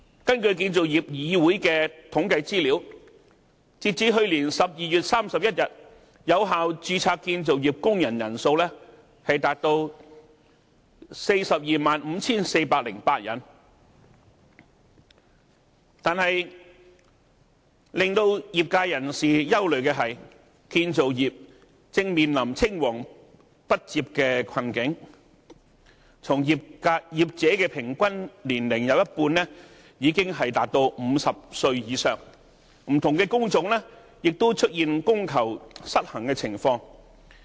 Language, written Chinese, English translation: Cantonese, 根據建造業議會的統計資料，截至去年12月31日，有效註冊建造業工人人數達到 425,408 人，但令業界人士憂慮的是，建造業正面臨青黃不接的困境，從業者有一半平均年齡已經達到50歲以上，不同工種也出現供求失衡的情況。, According to CICs statistics as of 31 December 2016 the number of Valid Registered Construction Workers numbered at 425 408 . However the sector is concerned about the succession problem in the industry as the average age of half of the practitioners are over 50 . An imbalance between supply and demand also appears in different trades